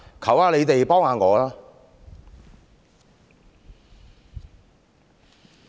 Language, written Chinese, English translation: Cantonese, 求你們幫我一下。, Please give me some help